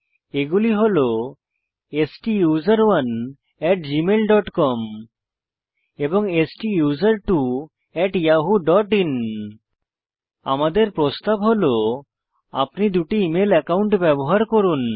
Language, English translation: Bengali, They are: STUSERONE at gmail dot com STUSERTWO at yahoo dot in We recommend that you use 2 of your email accounts